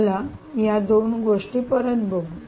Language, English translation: Marathi, let us just put back these two things